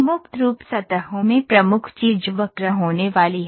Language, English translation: Hindi, In free form surfaces the major thing is going to be the curve